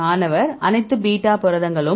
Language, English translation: Tamil, All beta proteins